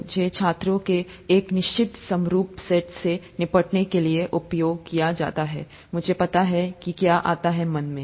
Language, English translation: Hindi, I’m used to dealing with a certain homogenous set of students, I know what comes to their mind